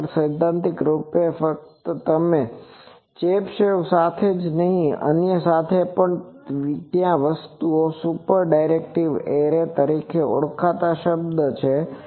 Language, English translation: Gujarati, Actually, theoretically you can with this not only with Chebyshev with others there are there is a term called super directive array in a thing